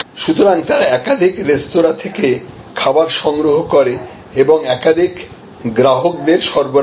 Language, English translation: Bengali, So, they pick up food from multiple restaurants and deliver to multiple customers